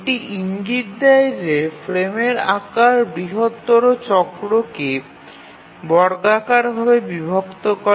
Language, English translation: Bengali, So, this indicates that the frame size squarely divides the major cycle